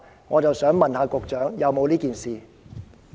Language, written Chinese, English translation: Cantonese, 我想問局長，是否有這件事？, May I ask the Secretary if this is the case?